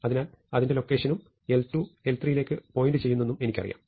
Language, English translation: Malayalam, So, I know its location and l 2 points to l 3